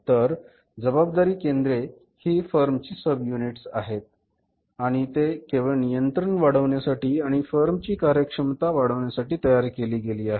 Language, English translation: Marathi, So, responsibility centers are the subunits of the firm and they are created just to maximize the control and to maximize the efficiency of the firm